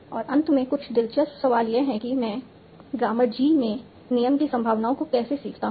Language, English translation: Hindi, And finally there is some interesting question that how do I learn the rule probabilities in the grammar G